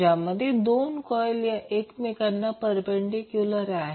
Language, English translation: Marathi, So, those will be perpendicular to each other